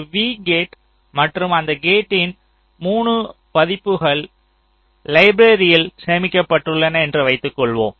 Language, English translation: Tamil, suppose we have a gate v and there are three versions of the gates which are stored in the library